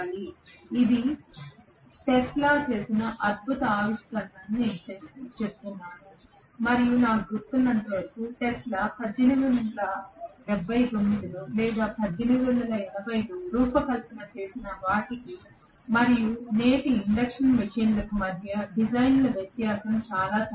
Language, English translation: Telugu, So that is why I say that this is a fantastic discovery by Tesla and as far as I remember there is hardly any design difference between what Tesla designed in 1879 or 1880 and today’s induction machines, very very limited difference in the design